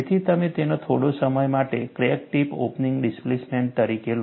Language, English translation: Gujarati, So, you take that as crack tip opening displacement, for the time being